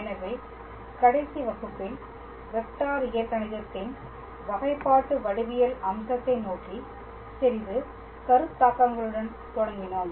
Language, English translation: Tamil, So, in the last class we started with the concepts of a little bit towords differential geometry aspect of Vector Calculus